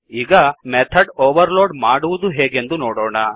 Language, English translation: Kannada, Let us now see how to overload method